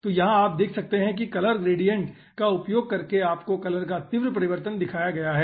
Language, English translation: Hindi, so here you can see, using color gradient, do you have shown the sharp change of color